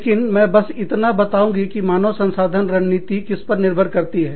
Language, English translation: Hindi, But, I will just tell you, what human resource strategy is, dependent upon